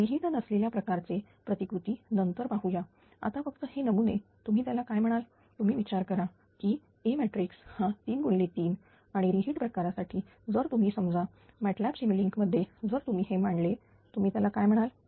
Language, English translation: Marathi, 1 on D type model will see later, just now it is a you are what to call that your ah thin that k matrix is a 3 into 3 and for heat type if you ah suppose in MATLAB simulink if you plot this your, what you call